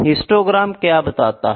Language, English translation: Hindi, So, this is the histogram chart